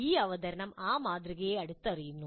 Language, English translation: Malayalam, This presentation closely follows that model